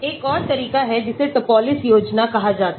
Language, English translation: Hindi, There is another approach that is called the Topliss scheme